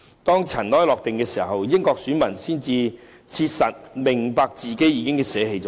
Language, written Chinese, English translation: Cantonese, 當塵埃落定後，英國選民才切實明白自己捨棄了甚麼。, After the referendum the voters then truly realized what they had given up